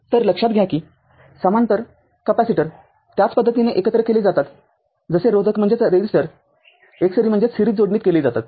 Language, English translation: Marathi, So, note that capacitors in parallel combining the same manner as resistor in series